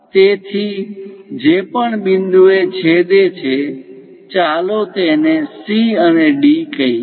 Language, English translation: Gujarati, So, whatever the points intersected; let us call C and D